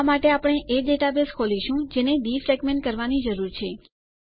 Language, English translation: Gujarati, For this, we will open the database that needs to be defragmented